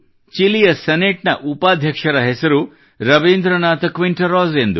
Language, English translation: Kannada, The name of the Vice President of the Chilean Senate is Rabindranath Quinteros